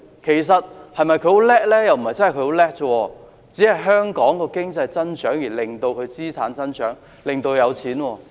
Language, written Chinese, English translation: Cantonese, 又不是真的很厲害，只是香港的經濟增長，令他的資產增長，令他變得有錢。, It is all because of the economic growth of Hong Kong that has led to capital appreciation and made these people rich